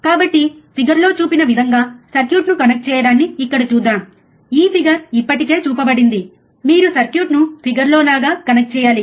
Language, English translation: Telugu, So, let us see here connect the circuit as shown in figure, this figure is already shown, you have to connect the circuit exactly like a figure